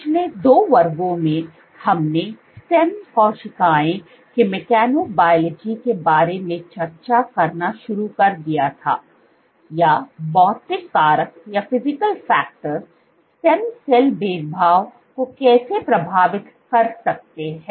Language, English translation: Hindi, So, in the last two classes, we had started discussing about mechanobiology of stem cells or how physical factors can influence stem cell differentiation